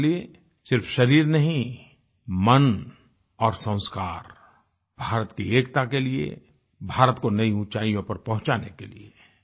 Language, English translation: Hindi, And so, not just our body, but our mind and value system get integrated with ushering unity in India to take India to loftier heights